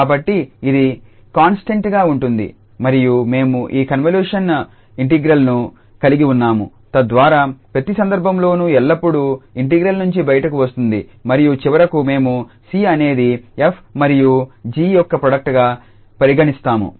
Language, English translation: Telugu, So, this is a constant and then we have this convolution integral so that will come out of the integral always in each case and finally we will end up with like c the product with f and g